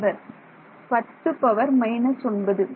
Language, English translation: Tamil, 10 to the minus 9